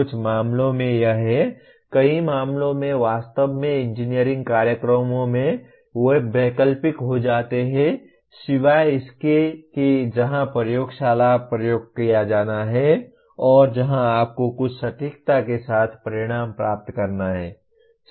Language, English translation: Hindi, In some cases it is, in many cases actually in engineering programs they become optional except where the laboratory experiment has to be performed and where you have to obtain results to with certain accuracy